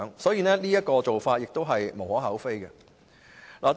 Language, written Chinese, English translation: Cantonese, 所以，一次性寬減稅款是無可厚非的。, For this reason a one - off reduction of tax gives little cause for criticism